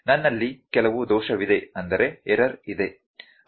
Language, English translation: Kannada, I have some error